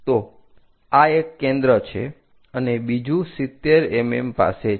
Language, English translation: Gujarati, So, this is one of the foci; the other one is at 70 mm